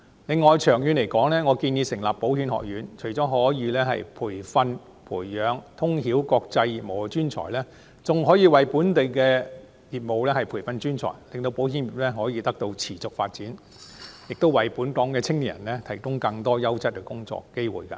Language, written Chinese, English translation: Cantonese, 此外，長遠而言，我建議成立保險學院，除了可以培養通曉國際業務的人才，更可以為本地業務培訓專才，令保險業得以持續發展，亦為本港青年人提供更多優質工作機會。, Moreover I propose that an insurance institute be established in the long run . This will not only nurture talents who are well versed in international business but also train professionals for local business to maintain the sustainable development of the insurance sector and provide young people in Hong Kong with more quality job opportunities